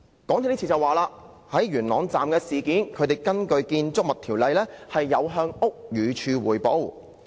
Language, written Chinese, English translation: Cantonese, 港鐵公司就元朗站事件表示，已根據《建築物條例》向屋宇署匯報。, In relation to the Yuen Long Station incident MTRCL says that it has already reported the incident to the Buildings Department pursuant to the Buildings Ordinance